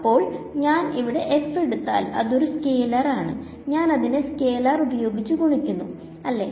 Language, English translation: Malayalam, So, when I took f over here it is a scalar I am multiplying it by a scalar right